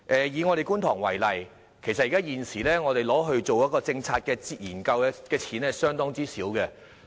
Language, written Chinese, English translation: Cantonese, 以觀塘為例，現時我們用作政策研究的款額相當少。, For example in Kwun Tong the amount currently available for policy research is small